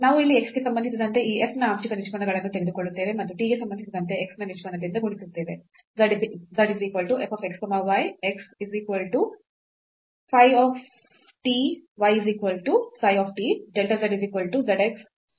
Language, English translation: Kannada, So, we will take here the partial derivatives of this f with respect to x and multiplied by the derivative of x with respect to t